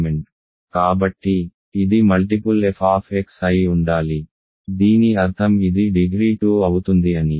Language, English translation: Telugu, So, it must be a multiple f of x, these already means because this is degree 2